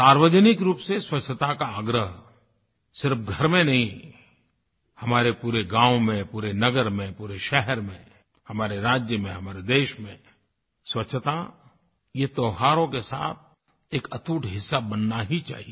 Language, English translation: Hindi, Public cleanliness must be insisted upon not just in our homes but in our villages, towns, cities, states and in our entire country Cleanliness has to be inextricably linked to our festivals